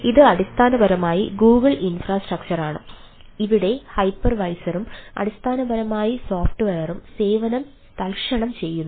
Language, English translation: Malayalam, it is the basically the google infrastructure we are using, where the hypervisor and its a basically software as a service